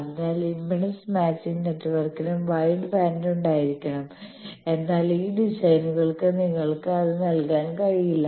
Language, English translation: Malayalam, So, there you need that impedance matching network also should be having wide band, but these designs cannot give you